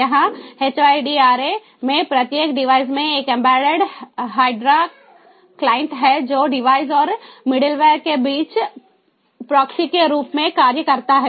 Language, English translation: Hindi, here in hydra each device has an embedded hydra client which acts as a proxy between the device and the middle ware